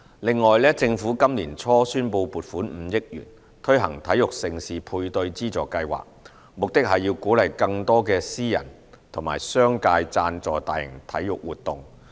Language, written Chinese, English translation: Cantonese, 另外，政府今年年初宣布撥款5億元，推行體育盛事配對資助計劃，目的是鼓勵更多的私人和商界贊助大型體育活動。, In addition the Government has announced an allocation of 500 million to the Major Sports Events Matching Grant Scheme with a view to encouraging more sponsorships from the private and business sectors